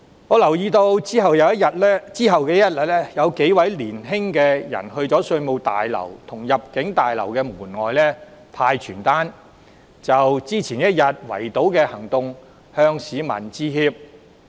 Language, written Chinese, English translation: Cantonese, 我留意到在翌日，數名年青人到灣仔稅務大樓及入境事務大樓門外派發傳單，就前一天的圍堵行動向市民致歉。, I noted that on the next day several youngsters handed out leaflets outside the Revenue Tower and the Immigration Tower in Wanchai apologizing to the public for the blockade mounted the previous day